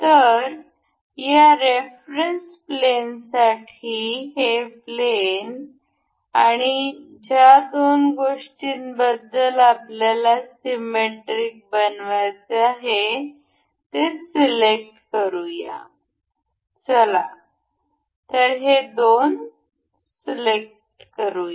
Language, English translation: Marathi, So, for this plane of reference, let us just select say this plane and the two items that we want to be symmetric about, let us say this one and this